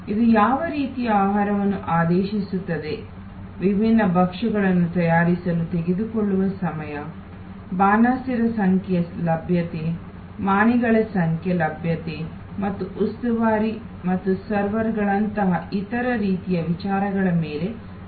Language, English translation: Kannada, It will be also depended on the kind of food ordered, the time it takes to prepare the different dishes, the availability of the number of chefs, the availability of the number of waiters and other types of servers, like stewards and servers